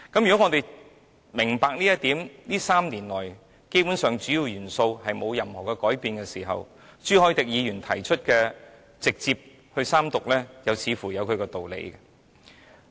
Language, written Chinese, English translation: Cantonese, 如果我們明白這一點，而主要元素在這3年來基本上沒有任何改變的時候，朱凱廸議員提出直接進入三讀的建議又似乎有其道理。, If we understand this point and if the Key Attributes basically have not changed over the past three years Mr CHU Hoi - dicks proposal of proceeding to the Third Reading direct seems to be reasonable